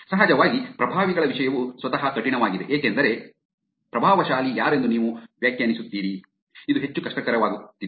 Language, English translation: Kannada, Of course, the topic of influencer by itself is actually hard because you are defining who an influencer is; it is becoming more and more difficult